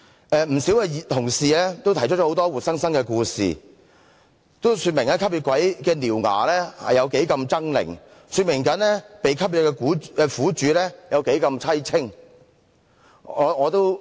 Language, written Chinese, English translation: Cantonese, 不少同事也提出很多活生生的故事，說明"吸血鬼"的獠牙如何猙獰，說明被"吸血"的苦主多麼淒清。, Many Honourable colleagues have recounted many vivid stories about how ferocious the vampires were when they bared their fangs and they gave an account of the grave miseries of the victims